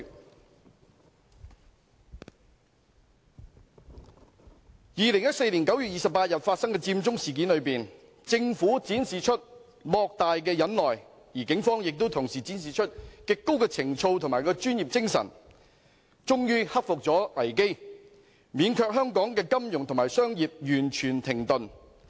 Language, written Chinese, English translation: Cantonese, 在2014年9月28日發生的佔中事件中，政府展示出莫大的忍耐，而警方亦同時展示出極高的情操和專業精神，終於克服危機，免卻香港的金融和商業完全停頓。, In the Occupy Central incident that occurred on 28 September 2014 the Government exercised great patience and the Police also demonstrated immensely noble virtues and professionalism thereby overcoming the crisis eventually and avoiding a complete halt of financial and commercial operations in Hong Kong